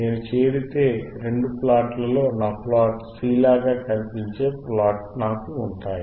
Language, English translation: Telugu, If I join both plots, I will have plot which looks like this, right, which is my plot C, right